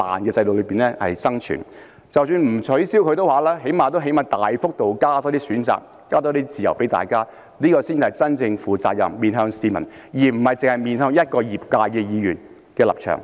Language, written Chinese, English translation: Cantonese, 即使政府不取消強積金，但最低限度也要大幅度增加選擇和自由，這才是真正負責任、面向市民，而不單是面向一個業界的議員的立場。, Even if it does not want to abolish MPF it should at least drastically increase choices and freedom . Only by doing so can it really become responsible and face the public instead of facing just the position of a Member representing an industry